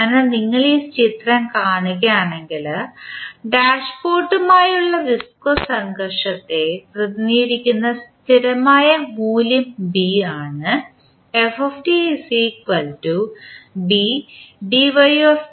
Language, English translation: Malayalam, So, if you see this figure we represent the viscous friction with the dashpot and the constant value is B